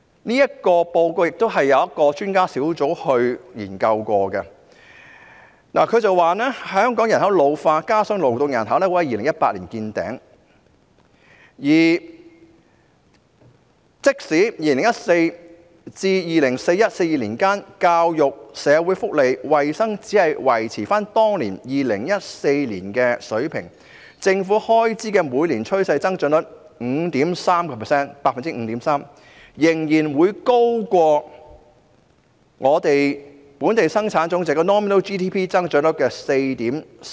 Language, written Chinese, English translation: Cantonese, 這份報告由一個專家小組研究編寫，指出香港人口老化，加上勞動人口會在2018年見頂，即使在2014年至 2041-2042 年度間，教育、社會福利、衞生只是維持在2014年的水平，政府開支每年的趨勢增長率 5.3% 仍然高於本地生產總值增長率 4.4%。, In this report prepared by a panel of experts it was pointed out that as the population of Hong Kong was ageing and labour force would peak in 2018 even if the expenditures on education social welfare and health remained at the level of 2014 between 2014 and 2041 - 2042 the 5.3 % projected trend growth rate of government expenditure was still higher than the 4.4 % projected trend growth of nominal GDP